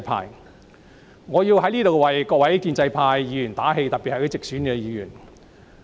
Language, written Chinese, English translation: Cantonese, 因此，我想在此為各位建制派議員打氣，特別是一些直選議員。, Hence I wish to take this opportunity to buck up Members of the pro - establishment camp―particularly those returned through direct elections